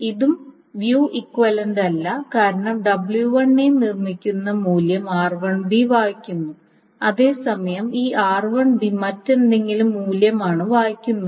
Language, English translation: Malayalam, This is also not view equivalent because this R1B is reading the value that is produced by W2A while as this RB is reading the value something else